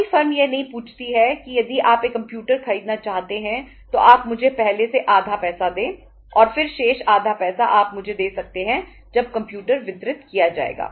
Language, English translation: Hindi, No firm ask for that if you want to buy a computer you give me half of the money in advance and then remaining half of the money you can give me when the computer will be delivered